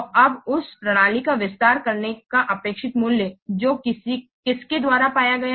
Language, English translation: Hindi, So now the expected value of extending the system is found out by what